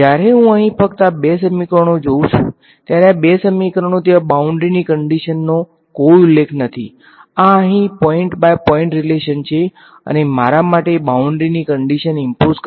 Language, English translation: Gujarati, When I look at just these two equations over here these two equations there is no mention of boundary conditions right; this is a point by point relation over here and there is no way for me to impose the boundary condition